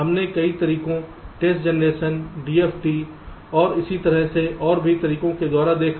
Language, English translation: Hindi, we looked at several methods: test generation: d, f, t and so on